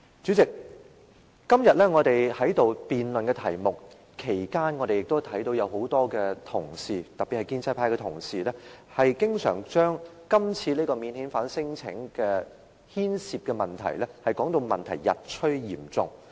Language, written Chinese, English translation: Cantonese, 主席，在我們今天辯論題目期間，很多同事，特別是建制派的同事，經常將今次免遣返聲請牽涉的問題說得日趨嚴重。, President during our discussion of the topic today many colleagues Members belonging to DAB in particular always say that the problem concerning non - refoulement claims has become increasingly serious